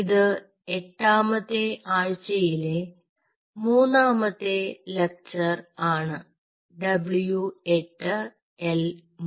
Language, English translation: Malayalam, oh, by the way, this is our week eight, lecture three w, eight l three